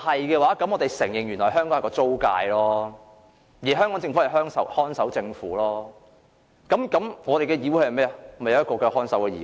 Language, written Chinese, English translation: Cantonese, 如果是，我們便要承認香港是一個租界，香港政府是看守政府，這個議會也是一個看守議會。, If the answer is positive we have to admit that Hong Kong is just a rented place the Hong Kong Government is a caretaker government and this Council is also a caretaker legislature